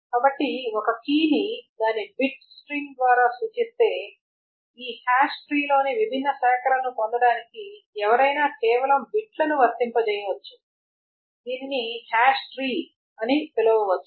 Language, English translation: Telugu, So if a key is represented by its bit string then one can simply apply the bits in order to get the different branches in this hash tree